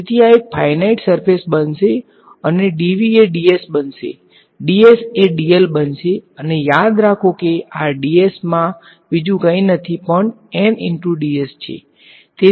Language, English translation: Gujarati, So, this will become a finite surface right and dv will become ds will become dl and remember this ds is nothing but n hat ds like this right